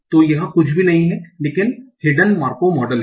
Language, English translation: Hindi, So this is nothing but the hidden macro model